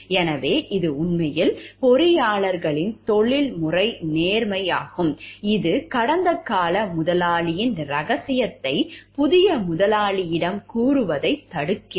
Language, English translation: Tamil, So, this is the professional integrity of the engineers actually, which restricts them from telling in a secret of the past employer to the new employee, a new employer